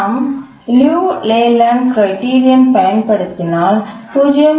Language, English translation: Tamil, And if you use the LELAND criterion, you will get something like 0